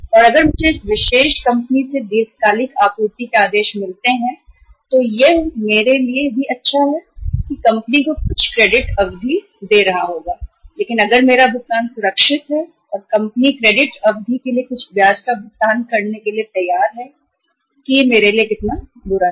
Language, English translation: Hindi, And if I get the long term supply orders from this particular company it is good for me also and I would be giving some credit period to the company but if my payment is safe and company is ready to pay some interest also for the credit period how say bad it is for me